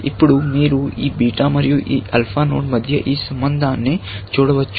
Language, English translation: Telugu, Now, you can see this relation between this beta and this alpha node